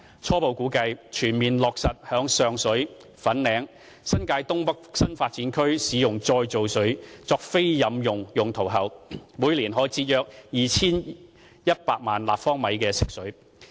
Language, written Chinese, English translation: Cantonese, 初步估計，全面落實在上水、粉嶺及新界東北新發展區使用再造水作非飲用用途後，每年可以節省約 2,100 萬立方米的食水。, According to preliminary estimates after fully implementing the plan to use reclaimed water for non - potable purposes in Sheung Shui Fanling and the North East New Territories new development areas we can save approximately 21 million cu m of fresh water per year